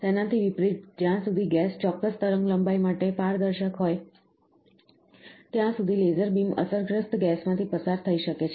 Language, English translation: Gujarati, In contrast, the laser beam can pass through a gas unaffected as long as a gas is transparent to the particular wavelength